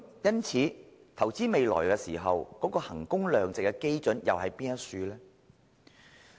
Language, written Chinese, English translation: Cantonese, 因此，在投資未來時，究竟衡工量值的基準為何？, In that case what are the criteria for the value - for - money audit when investing for the future?